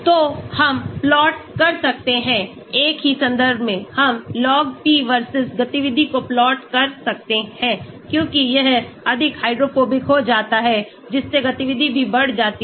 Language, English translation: Hindi, So, we can plot, same reference, we can plot log p versus activity so as it becomes more hydrophobic the activity also increases